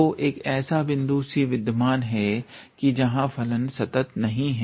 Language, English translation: Hindi, So, there exist a point c where the function is not continuous